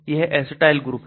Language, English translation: Hindi, This is the acetyl group